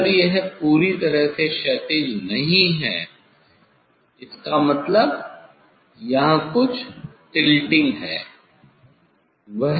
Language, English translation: Hindi, if it is not perfectly horizontal so; that means, there will be some till tilting